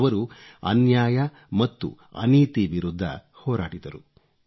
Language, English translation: Kannada, He fought against oppression & injustice